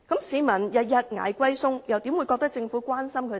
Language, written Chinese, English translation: Cantonese, 市民天天"捱貴菜"，又怎會認為政府關心他們呢？, Bearing high food prices every day how will members of the public think that the Government cares about them?